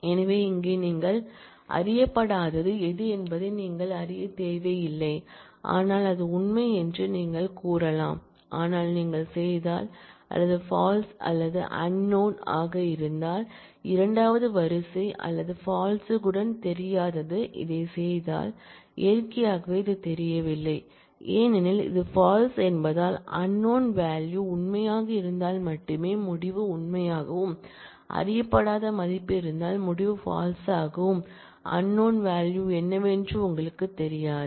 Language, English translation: Tamil, So, here you do not need to know what is that unknown well you can say it is true, but if you do or with false or of unknown with false the second row or of unknown with false if you do this, then naturally this is unknown because, since this is false the result would be true only if unknown value is true and the result would be false if the unknown value is false, you do not know what that unknown value is